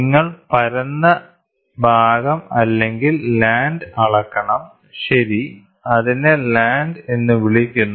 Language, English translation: Malayalam, So, you have to measure the flat portion the flat portion or the land, ok, which is called as a land